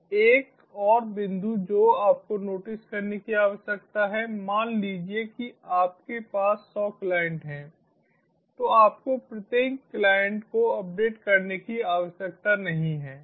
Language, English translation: Hindi, so one more point you need to notices is suppose you have hundred clients, youdo not need to update each and every client